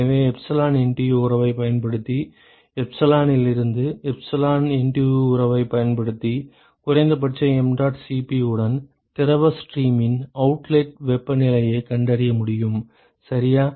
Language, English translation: Tamil, So, using the epsilon NTU relationship, epsilon NTU relationship from epsilon I can find out the outlet temperature of fluid stream with minimum mdot Cp, ok